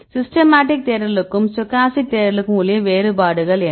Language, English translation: Tamil, So, the difference between systematic search and stochastic search are, what are the differences